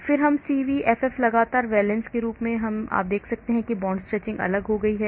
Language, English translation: Hindi, Then CVFF, consistent valence as you can see the bond stretching has become different